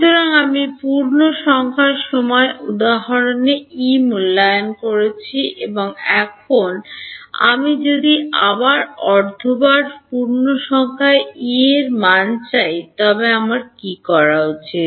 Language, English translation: Bengali, So, I have got E evaluated at integer time instance and now if I want the value of E at half time integer then what should I do